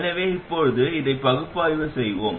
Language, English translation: Tamil, So that is what we are going to use